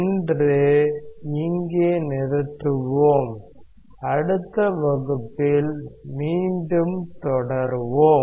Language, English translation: Tamil, Let us stop here today, and we will continue again in the next class